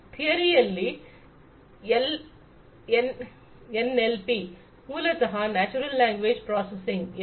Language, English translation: Kannada, In theory improving in NLP, NLP is basically Natural Language Processing